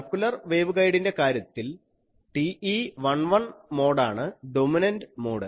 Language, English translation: Malayalam, Then in case of a circular waveguide TE11 mode is the dominant mode